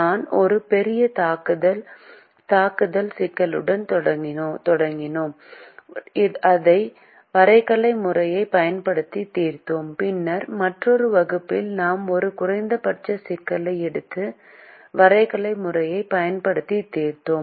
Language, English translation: Tamil, we started with a maximization problem and we solved it using the graphical method, and then, in another class, we to a minimization problem and solved it using the graphical method